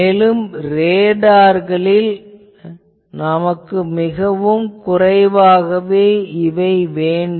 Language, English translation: Tamil, And in radars, in various applications, we require it to be much lower